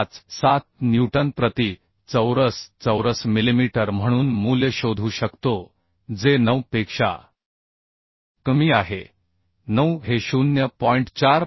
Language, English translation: Marathi, 57 newton per millimetre square which is less than 9 9 is the 0